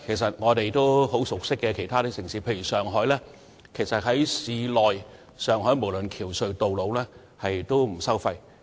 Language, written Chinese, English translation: Cantonese, 在我們很熟悉的其他城市，例如上海，市內的橋隧道路全部不收費。, In some of our familiar cities such as Shanghai all bridges tunnels and roads are toll - free